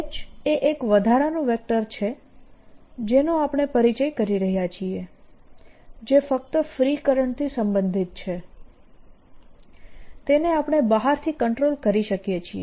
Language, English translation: Gujarati, h is an additional vector which we are introducing that is related only to free current, which we can control from outside